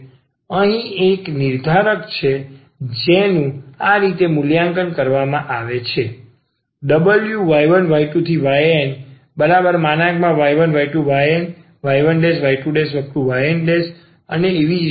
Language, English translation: Gujarati, This is a determinant here which is evaluated in this way